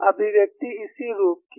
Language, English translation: Hindi, The expression is of this form